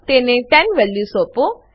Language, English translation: Gujarati, Assign 10 to it